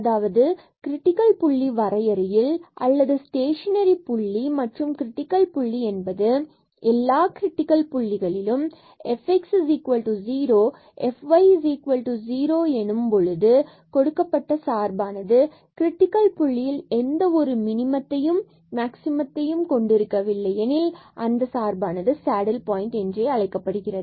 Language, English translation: Tamil, So, that is the definition of the critical point or the stationary point, and a critical point so among these all the critical points where f x is 0 and f y is 0 where the functions a critical point where the function has no minimum and maximum is called a saddle point